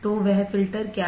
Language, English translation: Hindi, So, what is that filter